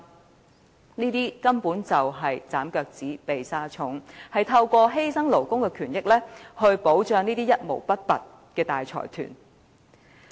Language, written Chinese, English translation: Cantonese, 這種做法根本是"斬腳趾避沙蟲"，透過犧牲勞工權益來保障那些一毛不拔的大財團。, Such an approach actually dodges the issue and seeks to protect the interests of the stingy consortiums at the expense of labour rights